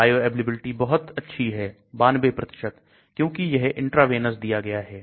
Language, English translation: Hindi, Bioavailability is excellent 92% because it is given intravenous